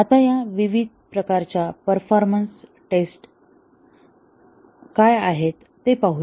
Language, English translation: Marathi, Now let us see what are these different types of performance tests that are performed